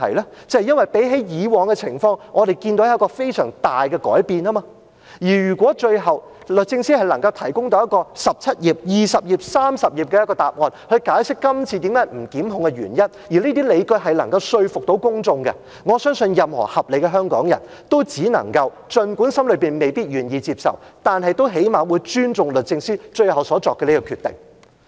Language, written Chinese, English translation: Cantonese, 那就是因為相比以往的情況，我們看到有非常大的改變，而如果最後，律政司能夠提供到一個17頁、20頁、30頁的答案，去解釋今次不檢控的原因，而這些理據能夠說服公眾，則我相信任何合理的香港人都只能夠，儘管心中未必願意接受，但最少限度也尊重律政司最後所作的決定。, That is because we have seen a very big change compared with the past and if the Secretary for Justice can ultimately provide a 17 - page 20 - page or 30 - page reply explaining the reasons for this non - prosecution decision and these justifications can convince the public then I believe that any reasonable Hongkonger can only at least respect the final decision made by the Secretary for Justice even though not necessarily willing to accept it